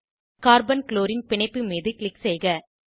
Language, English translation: Tamil, Click on Carbon Chlorine bond